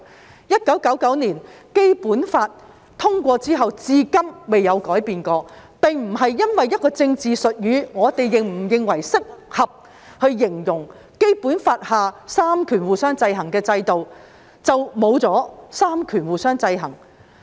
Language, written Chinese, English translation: Cantonese, 自1990年《基本法》通過後，至今從沒有改變，這並不是一個政治術語，不會因為我們認為是否適合以此形容《基本法》下三權互相制衡的制度，便沒有了三權互相制衡。, Since the adoption of the Basic Law in 1990 this has remained unchanged . This is not a political jargon . The mechanism of checks and balances among the powers will not disappear just because we find it inappropriate to use this term to describe the checks and balances enshrined in the Basic Law